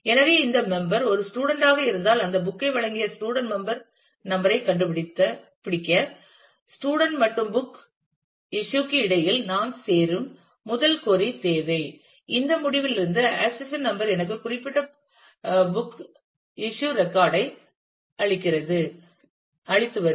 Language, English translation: Tamil, So, if this member is a student then we need the first query where we do a join between student and book issue to find out the student member number who is issued that book where the accession number gives me the particular book issue record from this result will come